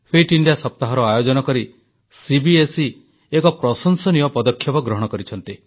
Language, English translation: Odia, CBSE has taken a commendable initiative of introducing the concept of 'Fit India week'